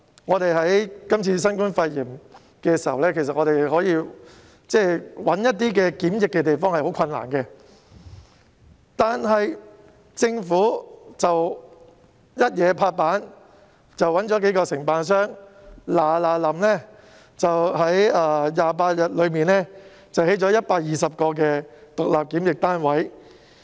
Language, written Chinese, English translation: Cantonese, 面對今次新冠肺炎疫情，要物色地方作為檢疫設施是很困難的事。但政府果斷行事，物色到數個承辦商在28天內迅速興建120個獨立檢疫單位。, Faced with the outbreak of the novel coronavirus pneumonia it was difficult to identify premises to be used as quarantine facilities but the Government acted decisively and identified several contractors to swiftly produce 120 separate quarantine units within 28 days